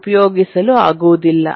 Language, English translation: Kannada, will be difficult to use